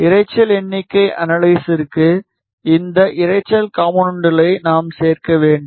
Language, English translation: Tamil, Now, for noise figure analysis, we need to add a component